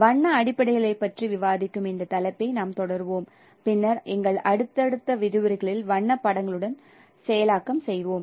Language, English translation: Tamil, So we will continue this topic of discussing about color fundamentals and later on processing of with color images